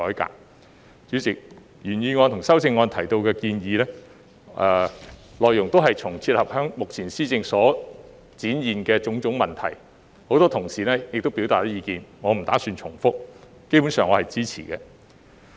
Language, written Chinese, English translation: Cantonese, 代理主席，原議案和修正案提到的建議，內容也能切合目前施政所展現的種種問題，很多同事已表達意見，我不打算重複，基本上我是支持的。, Deputy President the proposals in the original motion and the amendment can address the various problems seen in the current governance . Since many colleagues have already expressed their opinions I do not intend to repeat the arguments . Basically I am in support of them